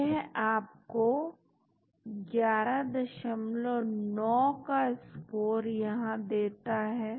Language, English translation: Hindi, That gives you score of 11